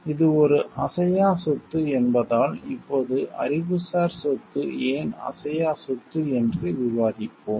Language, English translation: Tamil, Because it is an intangible property, now we will discuss why intellectual property is a intangible property